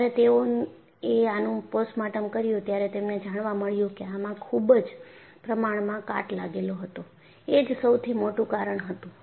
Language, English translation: Gujarati, So, when they did the postmortem, they found that widespread corrosion was the main culprit